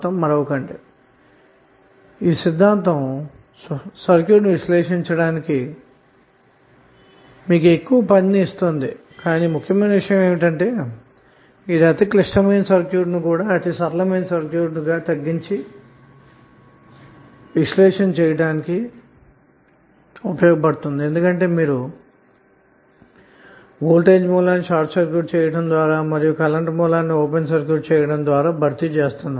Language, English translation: Telugu, So this will be giving you more work to analyze the circuit but the important thing is that it helps us to reduce very complex circuit to very simple circuit because you are replacing the voltage source by short circuit and current source by open circuit